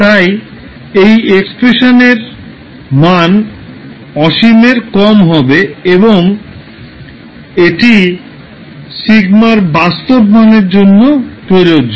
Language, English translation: Bengali, So that means the value of this expression should be less than infinity and this would be applicable for a real value sigma